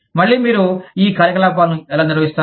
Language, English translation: Telugu, Again, how do you manage, these operations